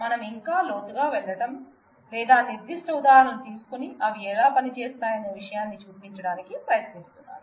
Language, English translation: Telugu, We are not going deeper into that further, or trying to take specific examples and show how they work